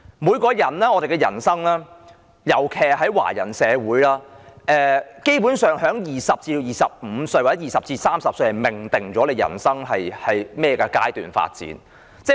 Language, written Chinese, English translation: Cantonese, 每個人的人生，尤其在華人社會，基本上在20歲至25歲或30歲時已命定了人生會朝甚麼方向發展。, If we look at a persons life and especially in Chinese societies basically the direction of development of his life is already decided at the age of 20 to 25 or 30